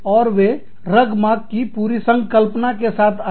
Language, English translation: Hindi, And, they came up with, this whole concept of Rugmark